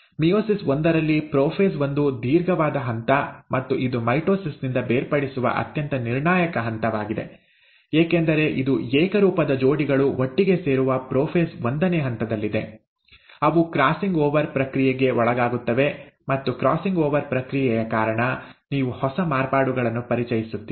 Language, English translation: Kannada, In meiosis one, prophase one is the longest step and it is one of the most critical step which sets it apart from mitosis because it is in prophase one that the homologous pairs come together, they undergo a process of crossing over, and because of the process of crossing over, you introduce new variations